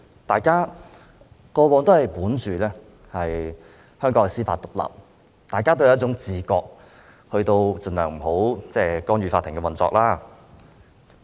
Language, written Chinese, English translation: Cantonese, 大家過往都相信香港是司法獨立，大家都有一種自覺，盡量不去干預法庭的運作。, We have been holding the belief that Hong Kong has judicial independence and we thus have the awareness that we should refrain from interfering in the operation of the Court